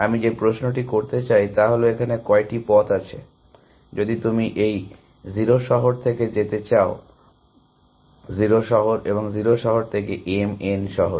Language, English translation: Bengali, The question I want to ask is how many paths are there, if you want to go from this city 0, 0 to the city m, n there